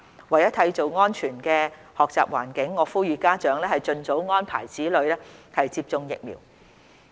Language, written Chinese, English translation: Cantonese, 為締造安全學習環境，我呼籲家長盡早安排子女接種疫苗。, In order to create a safe learning environment I appeal to parents to arrange for their children to get vaccinated as soon as possible